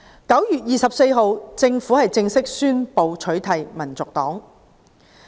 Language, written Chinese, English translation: Cantonese, 9月24日，政府正式宣布取締香港民族黨。, On 24 September the Government officially announced a ban on the Hong Kong National Party